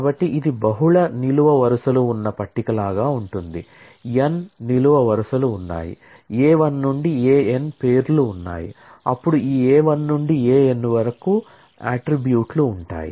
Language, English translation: Telugu, So, it is like a table having multiple columns say, there are n columns, having names A 1 to A n, then this A 1 to A n are the attributes